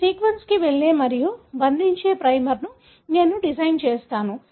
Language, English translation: Telugu, I design a primer that goes and binds to this sequence